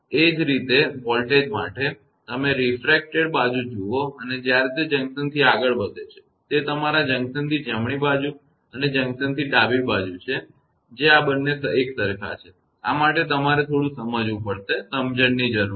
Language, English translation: Gujarati, Similarly for the voltage also; you see the refracted side and when it is moving from the junction; that is your from the junction to the right side and junction to the left side that these two are same, this you have to little bit understand understanding is required